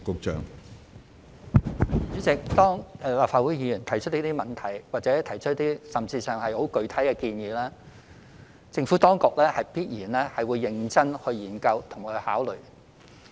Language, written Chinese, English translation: Cantonese, 主席，立法會議員提出這些問題，甚或提出一些很具體的建議，政府當局必然會認真研究及考慮。, President when Legislative Council Members voice out these problems or make specific suggestions the Government certainly will study and consider them seriously